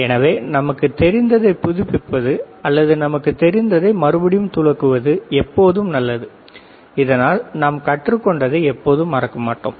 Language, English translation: Tamil, So, it is always good to refresh whatever we know or brush up whatever we know so that we do not forget ok